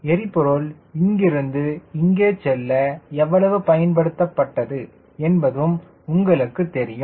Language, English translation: Tamil, right, you know how much fuel is consumed here to here and here to here